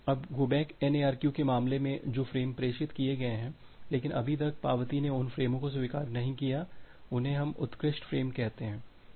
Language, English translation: Hindi, Now, in case of go back N ARQ the frames that have been transmitted, but not yet acknowledgement acknowledged those frames we call as the outstanding frames